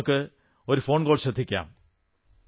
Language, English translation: Malayalam, Come on, let us listen to a phone call